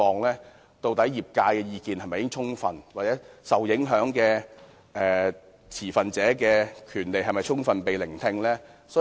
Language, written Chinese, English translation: Cantonese, 究竟業界的意見是否已充分被聆聽，受影響持份者的權利是否受到顧及？, Have the industry views been given full audience and the rights of stakeholders involved been taken into account?